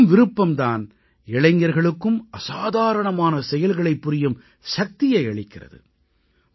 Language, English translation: Tamil, It is this will power, which provides the strength to many young people to do extraordinary things